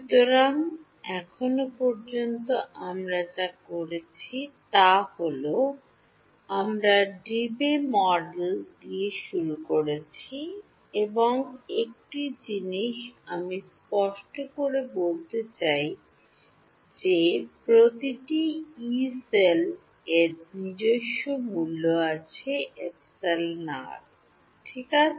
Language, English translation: Bengali, So, so far what we did was, we started with the Debye model and one thing I want to clarify is that every Yee cell has its own value of epsilon r ok